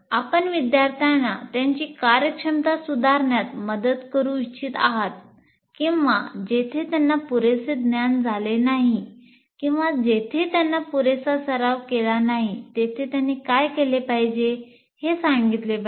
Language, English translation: Marathi, You would like to help the students in improving their performance or wherever point out where they have not adequately understood or where they have not adequately practiced, what is it they should do